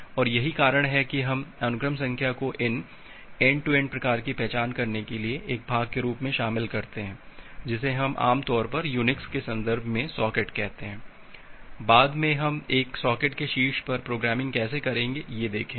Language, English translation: Hindi, And that is why we include the sequence number as a part of identifying these end to end type, which we normally call as socket in the terms of Unix, later on will look how we do the programming on top of a socket